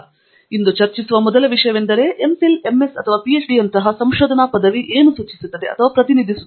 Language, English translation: Kannada, So the first thing, first topic that we will discuss today is, what does a research degree such as MPhil, MS or PhD imply or represent